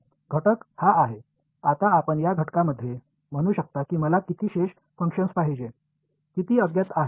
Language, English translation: Marathi, The element is this, now you can say in this element I want how many shape functions, how many unknowns